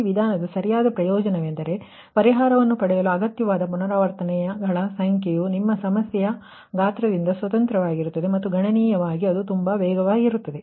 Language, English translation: Kannada, main advantage of this method is that the number of iterations required to obtain a solution is independent of the size of the your problem and computationally it is very fast